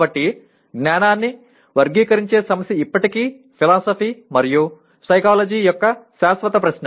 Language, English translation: Telugu, So, the problem of characterizing knowledge is still an enduring question of philosophy and psychology